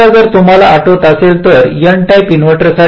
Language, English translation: Marathi, now for an n type inverter, if you recall